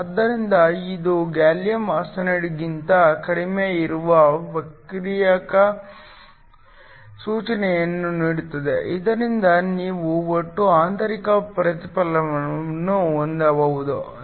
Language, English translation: Kannada, So, This gives a refractive index that is lower than that of a gallium arsenide so that you can have total internal reflection